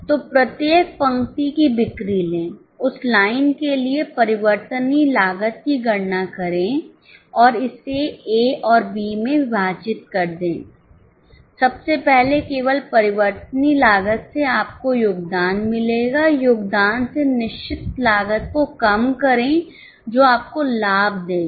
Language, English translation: Hindi, So, take sales of each line, calculate the variable cost for that line and separated into A and B, first of all only variable variable cost you will get contribution